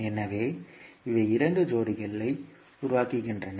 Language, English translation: Tamil, So, these create the dual pairs